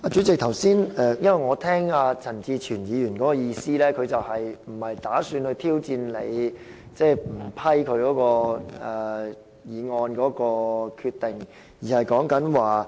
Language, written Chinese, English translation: Cantonese, 主席，我剛才聽到陳志全議員發言的意思是，他不打算挑戰你不批准他的議案的決定。, President what I heard from Mr CHAN Chi - chuens speech just now was that he did not mean to challenge your decision not to approve his motion